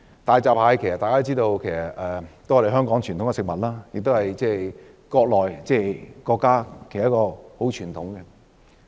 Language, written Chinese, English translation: Cantonese, 大家都知道大閘蟹是香港的傳統食物，亦是國家的傳統食物。, I also want to talk about hairy crabs which we all know are a traditional food in Hong Kong as well as in our Country